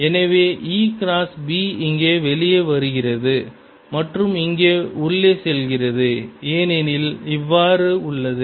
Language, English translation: Tamil, e cross b is coming out here and going in here, because b is like this